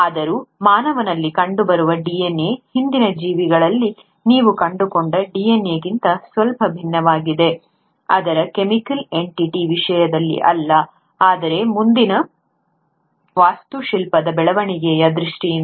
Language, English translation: Kannada, Yet, the DNA which is found in humans is slightly different from the DNA which you find in earlier organisms, not in terms of its chemical entity, but in terms of further architectural development